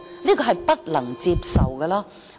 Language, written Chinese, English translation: Cantonese, 這是不能接受的。, This is unacceptable